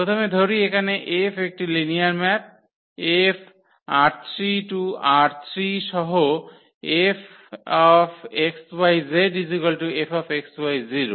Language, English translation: Bengali, So, first here let F is a linear map here R 3 to R 3 with F x y z is equal to x y 0